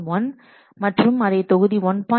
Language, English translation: Tamil, 1 into module 1